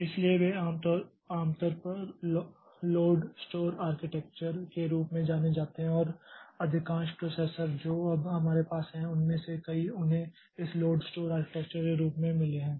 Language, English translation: Hindi, So, they are commonly known as load store architecture and most of the processors that we have now, many of them they have got this load store architecture